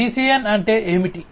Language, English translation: Telugu, What is this DCN